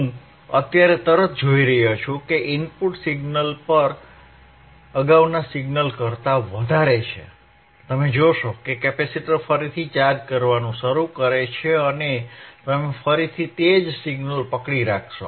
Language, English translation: Gujarati, As soon as I see the signal at the input is higher than the previous signal higher than this particular signal right, you see the capacitor again starts charging again start chargingand you will again keep on holding the same signal